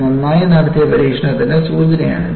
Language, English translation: Malayalam, This is an indication of an experiment well performed